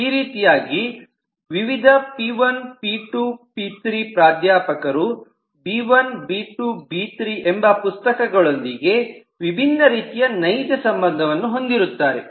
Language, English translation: Kannada, so in this way the different professor p1, p2, p3, different books b1, b2, b3 will have different kinds of actual relationships